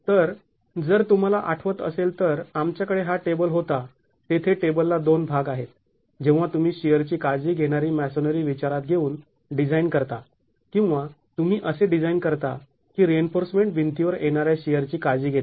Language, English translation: Marathi, So, if you recall we will, we had this table where there are two parts to the table when you design, when you design considering the masonry to take care of the shear or you design such that the reinforcement takes care of the shear coming onto the wall